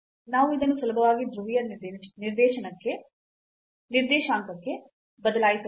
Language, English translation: Kannada, So, we can change this to polar coordinate that is easier